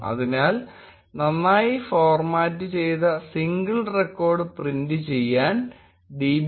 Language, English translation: Malayalam, Therefore, to print a well formatted singular record, we can use the command db